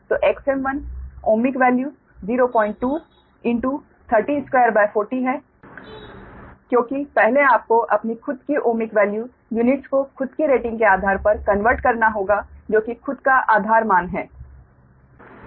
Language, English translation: Hindi, so x m, one ohmic value is point two, into thirty square upon forty, because first you have to converted on its own ah, your ohmic value units, own rating, that is own base values, right